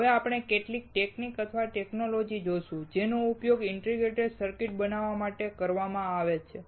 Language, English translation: Gujarati, Now we will see few techniques or technologies that are used to fabricate integrated circuits